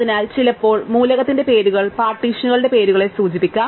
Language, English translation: Malayalam, So, sometimes the names of the element will refer to names of partitions